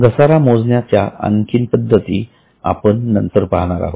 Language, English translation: Marathi, More methods of depreciation we will see later on